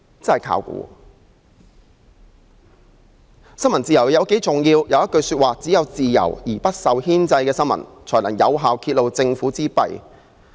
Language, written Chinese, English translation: Cantonese, 大法官休戈.布萊克曾說："只有自由而不受牽制的新聞，才能有效揭露政府之弊。, Justice Hugo BLACK said Only a free and unrestrained press can effectively expose deception in government